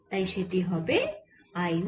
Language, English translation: Bengali, so that will be i one